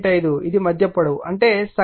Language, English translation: Telugu, 5 this is the mid length, that is mean height right, 8